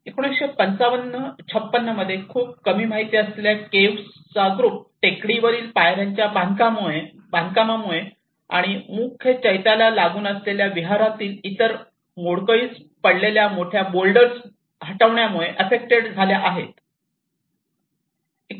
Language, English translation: Marathi, \ \ And in 1955 56, so has been very little known group of caves were affected by the construction of steps to the caves from hilltop and removal of huge boulders fallen from the ceiling and other debris in the Vihara adjoining the main Chaitya